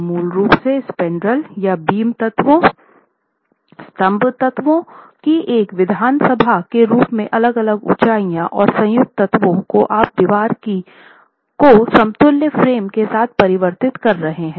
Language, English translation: Hindi, So, basically as an assembly of spandrels or the beam elements, column elements of varying heights and the joint elements, you are converting the wall with openings into an equivalent frame